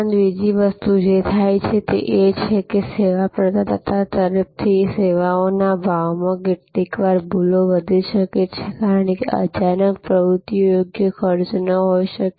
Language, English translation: Gujarati, Also, another thing that happens is that in services pricing, from the service provider side, sometimes there can be grows mistakes, because sudden activities might not have been costed properly